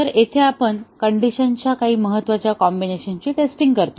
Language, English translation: Marathi, So, here we test some important combinations of conditions